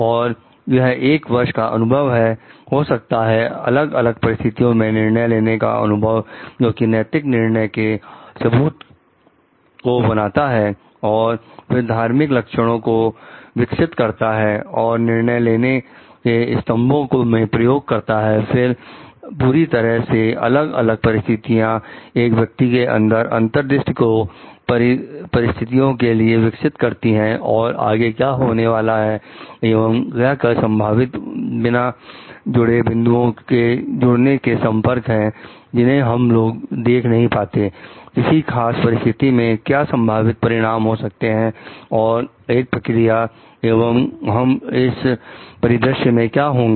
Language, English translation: Hindi, And it is an years of experience maybe experience of like judging different situations forming ethical justification evidence and then developing of like virtuous traits and utilizing the pillars of decision making, throughout in different kinds of situations develops an insight in the person about the situation and what is going to happen next and what are the possible connections between the unconnected dots that we may not see it, what could be the possible consequences of a particular situation and a action and what we will be right in this scenario